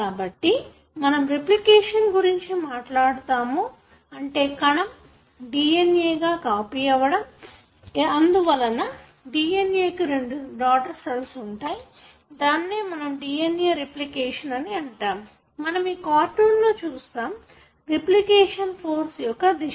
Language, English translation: Telugu, So, when we talk about replication that is cell copying its DNA, therefore the DNA can be given to the two daughter cells, this process we call as DNA replication and you can see that, in this cartoon what we are showing is that this is the direction of the replication fork